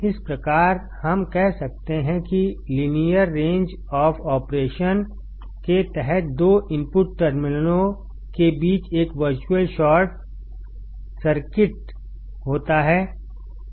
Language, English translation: Hindi, Thus we can say that under the linear range of operation, there is a virtual short circuit between the two input terminals